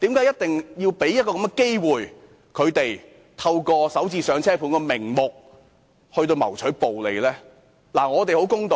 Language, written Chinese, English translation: Cantonese, 因為要讓他們有機會透過"港人首置上車盤"的名目謀取暴利。, It is because she wants to give them an opportunity to reap colossal profits in the name of developing Starter Homes